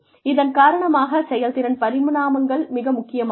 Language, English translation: Tamil, Because of this, performance dimensions are very important